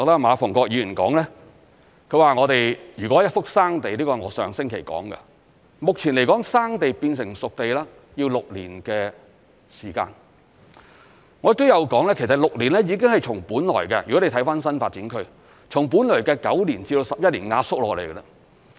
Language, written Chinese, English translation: Cantonese, 馬逢國議員說，如果是一幅"生地"，這是我上星期說的，目前來說"生地"變成"熟地"要6年時間，我亦有說其實6年已經是從本來的——如果你看新發展區——從本來的9年至11年壓縮下來。, Mr MA Fung - kwok has just cited the remarks made by me last week that transforming a piece of primitive land into a spade - ready site needs six years at present . I also said that with reference to the development of NDAs the process has already been compressed from previously 9 to 11 years to 6 years